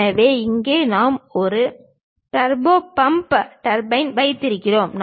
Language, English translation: Tamil, So, here we have a turbo pump turbine